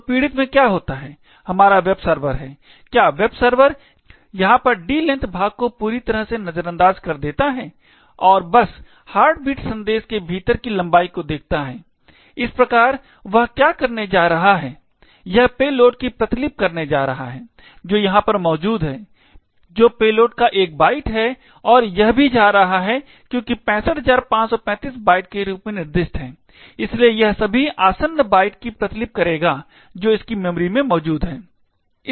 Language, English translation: Hindi, So, what happens in the victim that is our web server is that the web server completely ignores the D length part over here and just looks at the length within the heartbeat message, thus what it is going to do is that, it is going to copy the payload which is present over here that is 1 byte of payload and also it is going to because the length is specified as 65535 bytes, therefore it will also copy all the adjacent bytes that are present in its memory